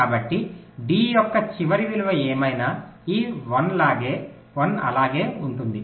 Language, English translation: Telugu, so whatever was the last of d, this one, this one will remain